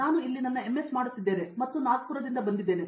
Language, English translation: Kannada, I am doing my MS here and I am from Nagpur